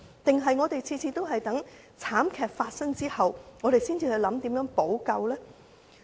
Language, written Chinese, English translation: Cantonese, 還是我們每次也要在慘劇發生後，才去想想如何補救呢？, Or do we only think about how to take remedial actions every time after a tragedy has happened?